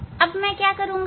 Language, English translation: Hindi, what I have done now